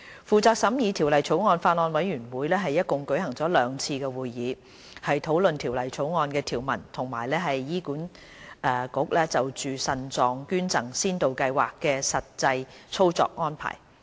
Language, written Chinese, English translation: Cantonese, 負責審議《條例草案》的法案委員會共舉行了兩次會議，討論《條例草案》的條文及醫院管理局就腎臟配對捐贈先導計劃的實際操作安排。, The Bills Committee on Human Organ Transplant Amendment Bill 2018 has altogether held two meetings to discuss provisions of the Bill and the actual operational arrangement to be carried out by the Hospital Authority HA regarding the pilot Paired Kidney Donation Programme